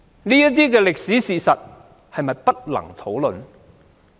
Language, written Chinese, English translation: Cantonese, 這些歷史事實是否不能討論呢？, Is it that these historical facts cannot be discussed?